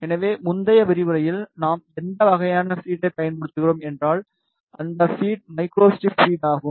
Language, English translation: Tamil, So, in previous lectures whatever type of feed we use that feed is micro strip feed